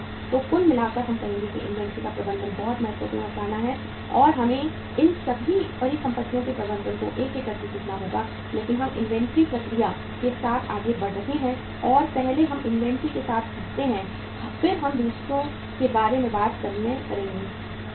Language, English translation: Hindi, So in overall we would say that management of inventory is very important concept and we will have to learn all these assets management one by one but we are moving uh first with the inventory process and first we learn with the inventory then we will talk about the other assets